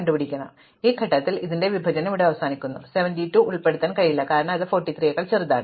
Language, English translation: Malayalam, So, at this point my partition ends here and 72 cannot be included, because it is bigger than 43